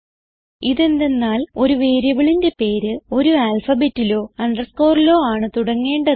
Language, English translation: Malayalam, This is because a variable name must only start with an alphabet or an underscore